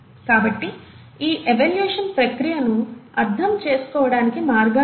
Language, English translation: Telugu, So, there are ways to understand this evolutionary process